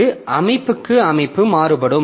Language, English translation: Tamil, So it varies from system to system